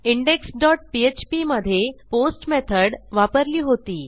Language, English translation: Marathi, In index dot php, we used the method as POST